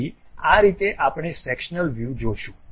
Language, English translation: Gujarati, So, that is the way we see the sectional views